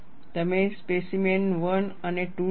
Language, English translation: Gujarati, You write the specimen 1 and 2